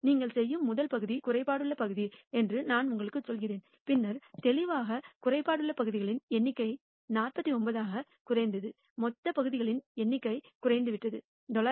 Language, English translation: Tamil, Suppose, I tell you that the first part that you do was a defective part, then clearly the total number of defective parts have decreased to 49 and the total number of parts has decreased to 999